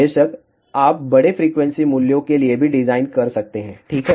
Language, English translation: Hindi, Of course, you can design for larger frequency values also ok